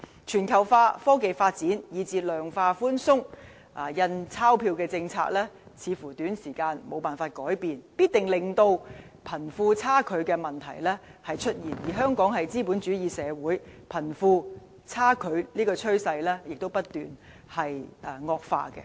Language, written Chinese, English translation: Cantonese, 全球化、科技發展以至量化寬鬆的"印鈔票政策"似乎在短時間內無法改變，必定令貧富差距的問題出現，而香港是資本主義社會，貧富差距的趨勢亦不斷惡化。, Globalization technological advancement and even the money printing policy of quantitative easing are causes of disparity between the rich and the poor and we cannot possibly alter the trend in the short term . As a capitalist society Hong Kongs wealth gap is widening